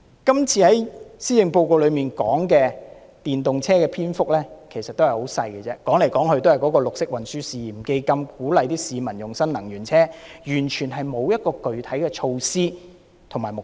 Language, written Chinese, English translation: Cantonese, 今次的施政報告有關電動車的篇幅其實很少，說來說去都是綠色運輸試驗基金，鼓勵市民使用新能源車，完全沒有具體措施及目標。, In this Policy Address the content about electric vehicles is actually very limited covering nothing but the Pilot Green Transport Fund and the promotion of the use of new energy vehicles among people . Specific measures and objectives are nowhere to be found